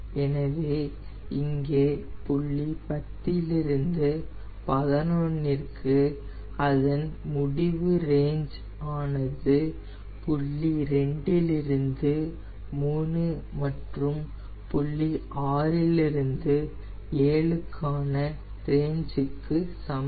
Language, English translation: Tamil, so here for point ten to eleven, their n range is same as point two to three and point six to seven